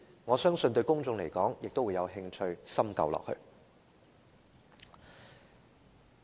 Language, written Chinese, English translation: Cantonese, 我相信公眾也會有興趣探究這些問題。, I believe the public will be interested to find out the answers to these questions